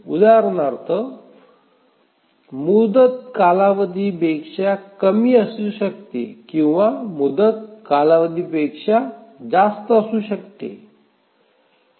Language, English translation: Marathi, For example, deadline can be less than the period or in rare cases deadline can be more than the period